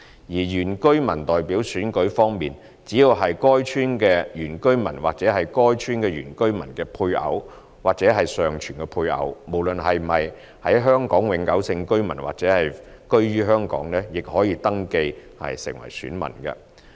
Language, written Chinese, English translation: Cantonese, 原居民代表選舉方面，只要是該村的原居民或是該村的原居民的配偶或尚存配偶，無論是否香港永久性居民或是否居於香港，亦可登記為選民。, As for Indigenous Inhabitant Representative Election so long as a person is an indigenous inhabitant of the concerned village or a spouse or surviving spouse of an indigenous inhabitant of that Village heshe can register as an elector regardless of whether heshe is a Hong Kong permanent resident or whether heshe lives in Hong Kong